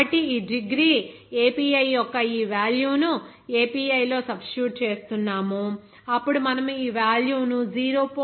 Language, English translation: Telugu, So this will be simply just we are substituting this value of degree API there in API, then we can get this value of 0